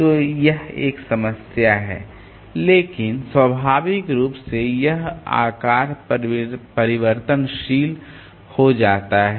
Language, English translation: Hindi, So, this is a problem but naturally this size becomes variable